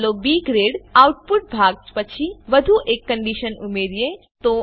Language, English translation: Gujarati, Let us add one more condition after the B grade output section